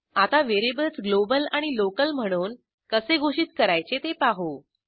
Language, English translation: Marathi, Let us learn how to declare variables globally and locally